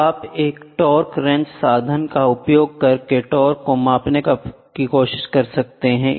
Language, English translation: Hindi, So, you try to measure the torque using a torque wrench torque instrument I will say torque wrench